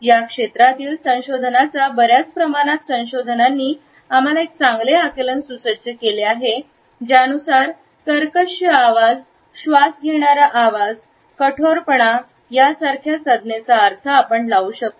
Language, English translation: Marathi, A considerable amount of research in this field has equipped us with a better understanding of the meaning of such terms as creaky voice, breathy voice and harshness